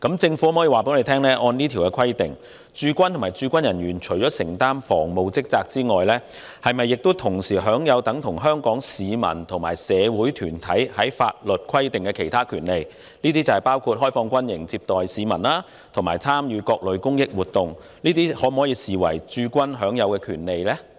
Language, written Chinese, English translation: Cantonese, 政府可否告知本會，按照這項規定，駐軍和駐軍人員除了承擔防務職責外，是否同時享有等同香港市民和社會團體法律所規定的其他權利，包括開放軍營接待市民及參與各類公益活動，這些可否視為駐軍部隊享有的權利？, Will the Government inform this Council Under this provision apart from performing the defence functions do the HK Garrison and its members also enjoy the same rights as those enjoyed by the people and other social organizations in Hong Kong as prescribed in the laws including opening up barracks to receive members of the public and participating in various charitable activities? . Can these activities be regarded as the rights of the HK Garrison?